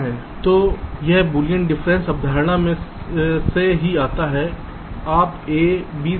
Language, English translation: Hindi, so this also follows from the boolean difference concept